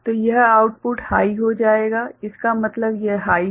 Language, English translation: Hindi, So, this output will become high means this is high